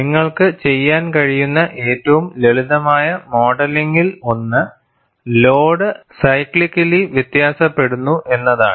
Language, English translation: Malayalam, And one of the simplest modeling that you could do is, that the load varies cyclically